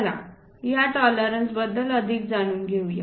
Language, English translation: Marathi, Let us learn more about these tolerances